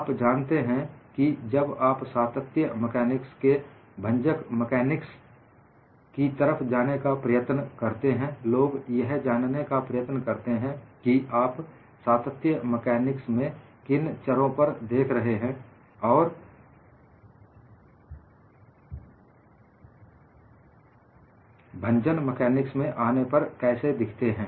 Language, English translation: Hindi, When you are trying to move away from continuum mechanics to fracture mechanics, people wanted to look at what parameters that continuum mechanics, how they look like when you come to fracture mechanics